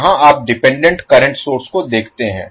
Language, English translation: Hindi, Where, you see the dependant current source